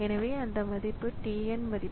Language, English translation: Tamil, So, that is t n